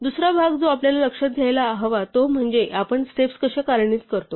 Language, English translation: Marathi, The other part that we are need to note is how we execute steps